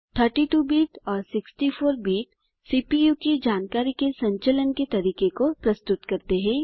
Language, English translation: Hindi, The terms 32 bit and 64 bit refer to the way the CPU handles information